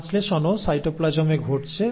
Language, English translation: Bengali, The translation is also happening in the cytoplasm